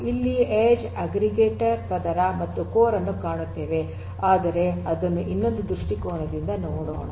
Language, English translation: Kannada, So, you have the edge, you have the indicator layer and then you have the core, but let us look at it look at it from another viewpoint